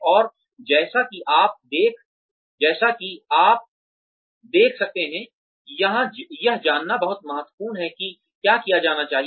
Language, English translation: Hindi, And, as you can see, it is very important to know exactly, what needs to be done